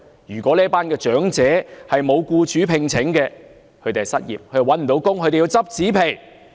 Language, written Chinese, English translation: Cantonese, 如果這群長者沒有僱主聘請便會失業，便要拾紙皮。, These elderly people would be unemployed and have to scavenge cardboards if no employers hire them